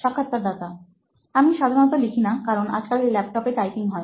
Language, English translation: Bengali, So I write not that often, like nowadays mostly typing in the laptop